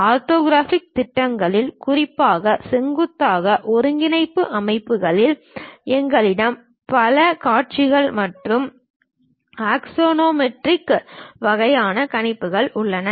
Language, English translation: Tamil, In orthographic projections, especially in perpendicular kind of coordinate systems; we have multi views and axonometric kind of projections